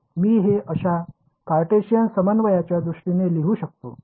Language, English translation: Marathi, I can write it in terms of Cartesian coordinates like this ok